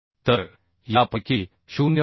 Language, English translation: Marathi, 3 that will be 0